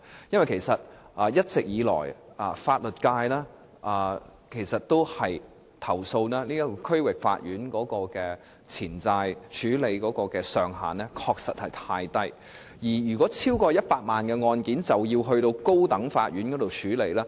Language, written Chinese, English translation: Cantonese, 一直以來，法律界投訴區域法院在處理錢債方面的權限過低，因為所涉款額超過100萬元的案件，均須交由高等法院處理。, The legal profession has all along complained about the low limit of jurisdiction of the District Court in respect of claims given that cases involving claims of more than 1 million will have to be referred to the High Court